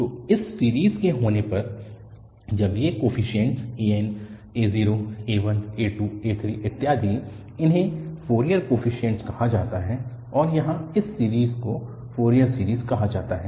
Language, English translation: Hindi, So, having this series, now these coefficients an, a0, a1, a2, a3, etcetera, they are called the Fourier coefficients and this series here is called the Fourier series